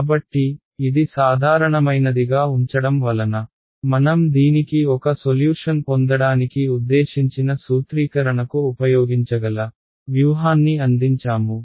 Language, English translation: Telugu, So, but this keeping it general has given us a strategy that we can use to formulate I mean to get the solution to this